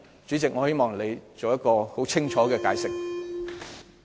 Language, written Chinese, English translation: Cantonese, 主席，我希望你作出清楚解釋。, Chairman I hope you can give us a clear explanation